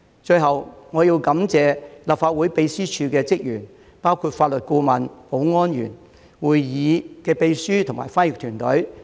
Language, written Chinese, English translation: Cantonese, 最後，我要感謝立法會秘書處的職員，包括法律顧問、保安員、會議秘書及翻譯團隊。, Lastly I would like to thank the staff of the Legislative Council Secretariat including the legal advisers security guards Council Secretaries and the translation team